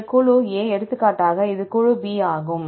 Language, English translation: Tamil, This group A for example, this is group B